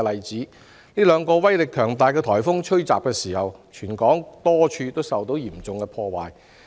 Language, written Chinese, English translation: Cantonese, 在兩個威力強大的颱風襲港期間，全港多處地方受到嚴重破壞。, A number of places across the territory suffered heavy destruction during the two powerful typhoon attacks